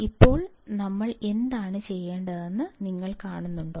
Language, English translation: Malayalam, Now, you see what we have to do